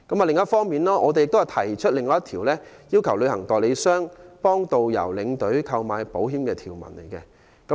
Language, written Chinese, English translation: Cantonese, 另一方面，我提出另一項修正案，要求旅行代理商為導遊、領隊購買保險。, On the other hand I have proposed another amendment to request travel agents to take out insurance policies for tourist guides and tour escorts